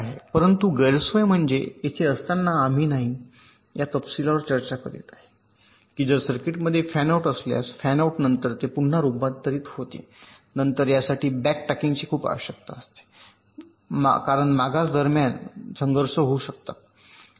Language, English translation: Marathi, but disadvantage is that while here we are not discussing this, details that if the circuit has fan outs and after fan out it is again converging later, it may require lot of back tracking because there can be conflicts during backward trace